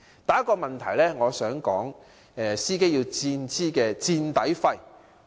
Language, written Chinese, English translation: Cantonese, 第一大問題是，司機要支付"墊底費"。, The first major problem is that drivers have to pay the insurance excess